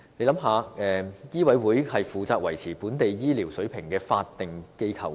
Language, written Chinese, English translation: Cantonese, 醫委會是負責維持本地醫療水平的法定機構。, MCHK is a statutory organization responsible for maintaining medical standards in Hong Kong